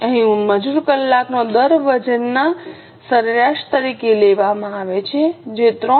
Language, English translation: Gujarati, Here the labour hour rate is taken as a weighted average which is 3